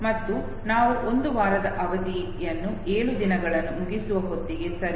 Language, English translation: Kannada, And by the time we complete seven days one week period, okay